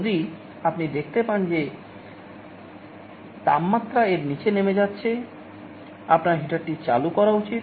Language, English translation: Bengali, If you find that the temperature is falling below it, you should turn on the heater